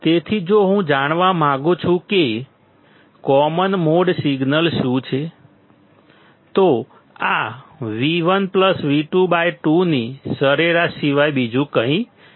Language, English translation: Gujarati, So, if I want to know what is common mode signal, this is nothing but the average of V 1 plus V 2 by 2